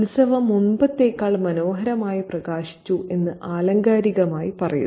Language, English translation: Malayalam, So, metaphorically, the festivity has become lit up more beautifully than ever before